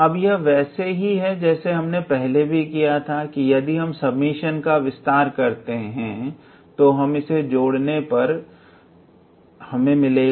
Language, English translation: Hindi, So, if you expand the summation, we will be able to see that and ultimately we will be left with x n minus x 0